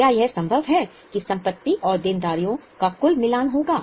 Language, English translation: Hindi, Is it possible that the total of assets and liabilities will match